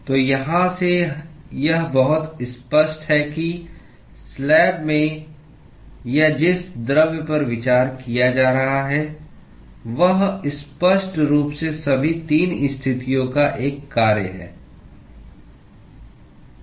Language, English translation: Hindi, So, from here it is very clear that the temperature in the slab or in the material that is being considered is clearly a function of all 3 positions